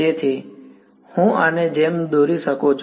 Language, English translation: Gujarati, So, I can draw like this